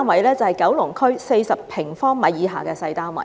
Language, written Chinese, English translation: Cantonese, 就是九龍區40平方米以下的小單位。, They are small units of an area of less than 40 sq m in Kowloon